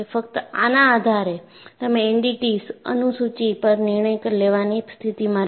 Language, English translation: Gujarati, Only on this basis, you would be in a position to decide on the NDT schedule